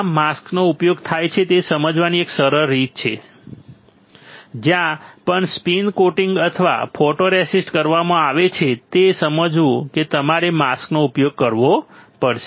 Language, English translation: Gujarati, An easy way of understanding how many mask are used, just understand wherever spin coating or photoresist is done you had to use a mask